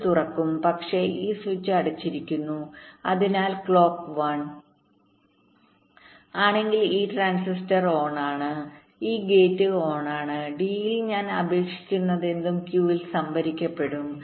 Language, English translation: Malayalam, so if clock is one, then this transistor is on, this gate is on and whatever i have applied to d, that will get stored in q